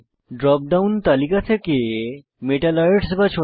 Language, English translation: Bengali, Click on the drop down list and select Metalloids